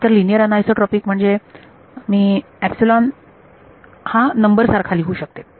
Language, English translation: Marathi, So, linear anisotropic means I can write epsilon as a number